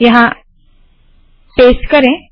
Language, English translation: Hindi, Paste it here